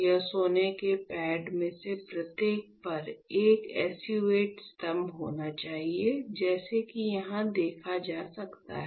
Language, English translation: Hindi, What I want; that there should be a SU 8 pillar on each of this gold pad like you can see here right